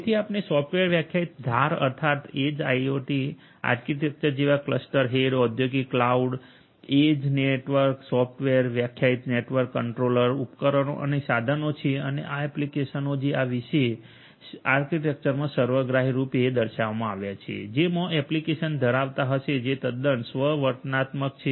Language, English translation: Gujarati, So, you are going to have in the software defined edge IIoT architecture different components such as the cluster head, industrial cloud, edge network, software defined network controller, devices and equipments and these applications which holistically has been shown in this particular architecture and this is quite self explanatory so, I do not need to go through each of these different components in further detail